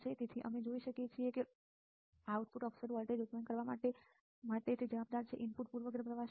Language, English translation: Gujarati, So, you can see that what is the more responsible for the output for producing the output offset voltage; input bias current is what